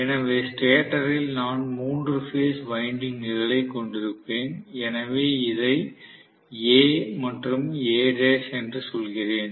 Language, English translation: Tamil, So in the stator I am probably going to have three phase windings, so let me call this as A and A dash